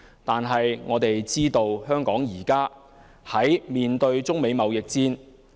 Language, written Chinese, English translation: Cantonese, 不過，我們知道香港現正面對中美貿易戰。, Yet we know that Hong Kong is now facing the trade war between the United States and China